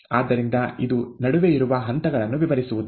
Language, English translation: Kannada, Therefore it does not describe the phases in between, okay